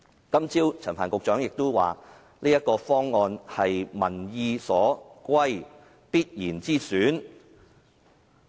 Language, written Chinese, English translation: Cantonese, 今早陳帆局長亦表示，這個方案是"民意所歸，必然之選"。, Secretary Frank CHAN also said that this option is the Definite option commanding strong public opinion support